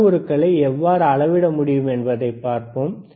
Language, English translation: Tamil, And we will we will see how we can measure the parameters